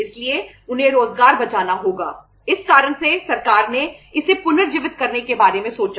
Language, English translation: Hindi, So they have to save the employment so because of that reason then government thought of reviving it